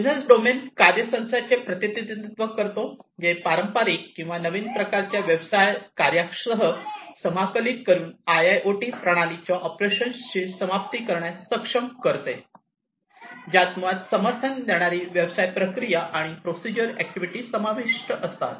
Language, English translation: Marathi, The business domain represents the set of functions which enables end to end operations of the IIoT system by integrating them with the traditional or, new type of business function, which basically includes supporting business processes and procedural activities